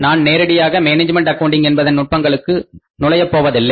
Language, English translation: Tamil, I am not straightway jumping to the techniques of management accounting